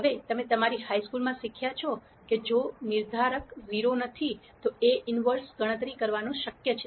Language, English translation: Gujarati, Now from your high school and so on, you would have learned that if the determinant is not 0, A inverse is possible to compute